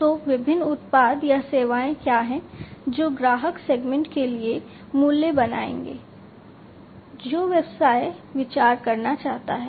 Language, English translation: Hindi, So, what are the different products or the services that will create the values for the customer segments that the business wants to consider